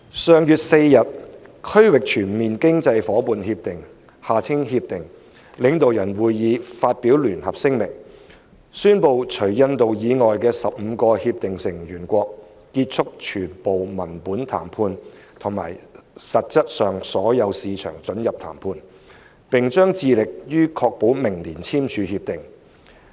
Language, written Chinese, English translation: Cantonese, 上月4日，《區域全面經濟伙伴協定》領導人會議發表聯合聲明，宣布除印度以外的15個協定成員國結束全部文本談判及實質上所有市場准入談判，並將致力於確保明年簽署《協定》。, On the 4th of last month the Regional Comprehensive Economic Partnership RCEP Leaders Summit released a joint statement announcing that 15 RCEP participating countries had concluded all text - based negotiations and essentially all their market access issues negotiations and had been committed to ensuring the RCEP agreement be signed next year